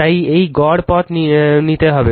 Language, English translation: Bengali, So this, mean path will take